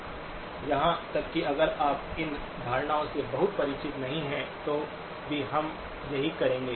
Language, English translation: Hindi, Even if you are not very familiar with these notions, this is what we will be building up on